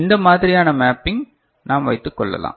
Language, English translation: Tamil, This is one kind of mapping we can think of is it ok